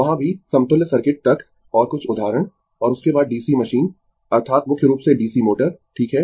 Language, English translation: Hindi, There also, up to equivalent circuit and few examples and after that DC machine that is DC motor mainly, right